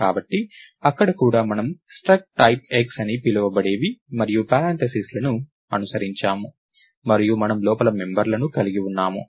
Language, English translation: Telugu, So, there also we had something called struct type X and followed by braces, and we had members inside